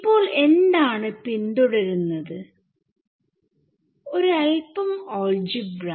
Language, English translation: Malayalam, So, what follows now is, little bit of algebra only ok